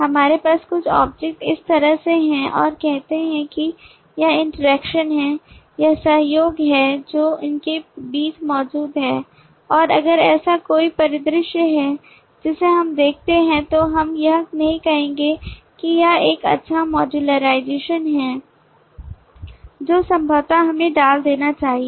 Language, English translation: Hindi, we have couple of objects place like this and say this is the interaction, this is the collaboration that exist between them and there is if this is a scenario that we see then we will not say that this is a good modularization possibly we should have put these two in the same module and not across the module